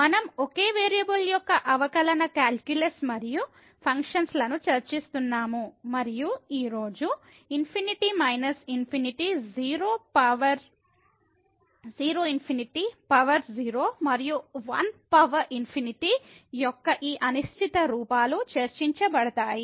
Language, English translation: Telugu, So, we are discussing differential calculus and functions of single variable, and today this indeterminate forms of the type infinity minus infinity 0 power 0 infinity power 0 and 1 power infinity will be discussed